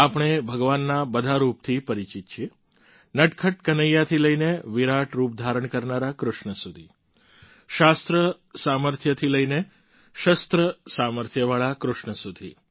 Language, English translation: Gujarati, We are familiar with all the forms of Bhagwan, from naughty Kanhaiya to the one taking Colossal form Krishna, from the one well versed in scriptures to one skilled in weaponary